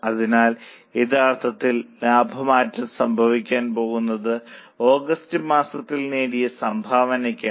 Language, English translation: Malayalam, So, what is really going to change profit is a contribution earned in the month of August